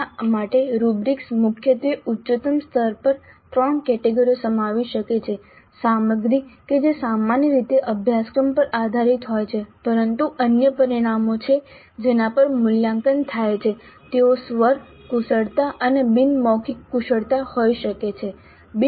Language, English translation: Gujarati, The rubrics for that could contain primarily at the highest level three categories, the content itself which typically is based on the course but there are other things, other parameters on which the evaluation takes place, they can be vocal skills and non verbal skills